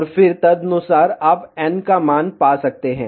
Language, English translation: Hindi, And then correspondingly, you can find the value of n